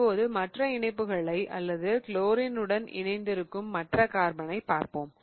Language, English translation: Tamil, Now let us look at the other other attachments or the other carbon that has the chlorine